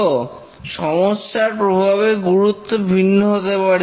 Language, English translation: Bengali, So, the severity of different failures may be different